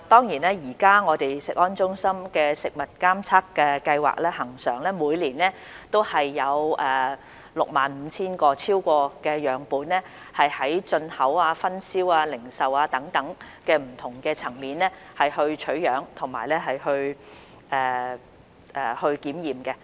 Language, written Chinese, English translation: Cantonese, 現時食安中心的食物監測計劃每年恆常有超過 65,000 個樣本，就進口、分銷、零售等不同層面取樣及檢驗。, At present under the routine Food Surveillance Programme of CFS an average of over 65 000 samples taken at the import distribution and retail levels will be tested per year